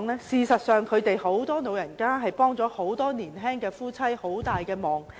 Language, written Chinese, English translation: Cantonese, 事實上，很多長者確實協助年青夫婦照顧兒女。, It is true that many elderly citizens will help young couples in their family to take care of the latters children